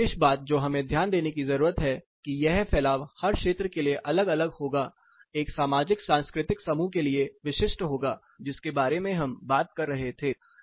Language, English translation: Hindi, So, one important thing we need to note this particular dispersion is very location specific very you know specific to the socio cultural group which we were talking about